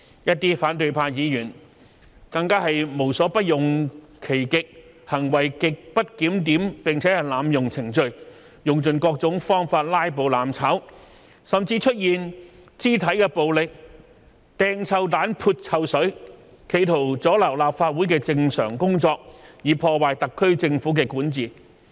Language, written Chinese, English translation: Cantonese, 一些反對派議員更是無所不用其極，行為極不檢點並濫用程序，用盡各種方法"拉布""攬炒"，甚至出現肢體暴力、擲臭彈、潑臭水，企圖阻撓立法會的正常工作，以破壞特區政府的管治。, Some Members from the opposition camp would use every single tactic for the purpose . With such grossly disorderly conduct and the abuse of the procedure they tried every means to filibuster and engage in mutual destruction . Apart from physical violence there were cases involving hurling stink bombs and splashing of foul - smelling water with an intention to disrupt the normal business of the Legislative Council and undermine the governance of the Government of the Special Administrative Region